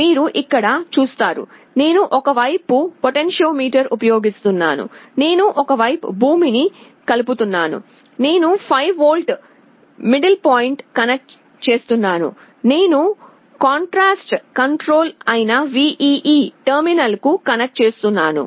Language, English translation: Telugu, You see here, I am using a potentiometer on one side, I am connecting ground on one side, I am connecting 5 volt the middle point, I am connecting to the VEE terminal that is the contrast control